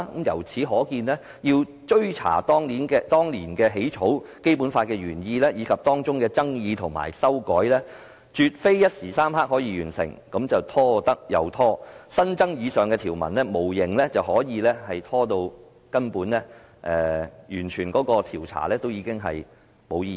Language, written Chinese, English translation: Cantonese, 由此可見，翻查當年起草《基本法》的原意，以及當中的爭議及修改，絕非一時三刻可以完成的事，只是拖得便拖，新增以上條文無形中可以把調查拖延，直至調查變得毫無意義。, Evidently the tasks of tracing the original intent of drafting the Basic Law and the controversies and amendments involved could not be completed within a short time . The added provisions merely seek to delay the inquiry until it becomes meaningless